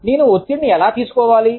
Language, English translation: Telugu, How do i take stress